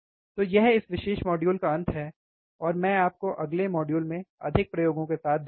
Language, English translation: Hindi, So, this is the end of this particular module, and I will see you in the next module with more experiments